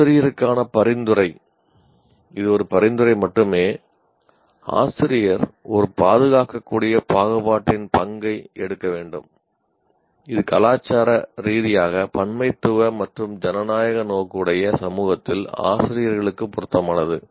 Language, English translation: Tamil, Now the suggestion is the teacher, it is only a suggestion, the teacher should take the role of a defensible partisanship is appropriate for teachers in a culturally pluralistic and democratically oriented society